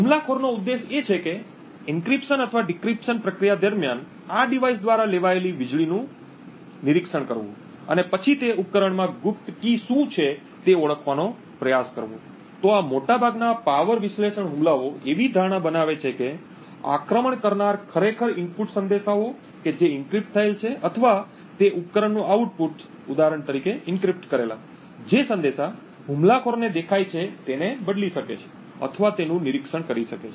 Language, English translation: Gujarati, The objective of the attacker is to monitor the power consumed by this device during the encryption or decryption process and then try to identify what the secret key is stored within the device is, so most of these power analysis attacks make the assumption that the attacker can actually manipulate or monitor the input messages that get encrypted or the output of that device for example the encrypted messages are visible to the attacker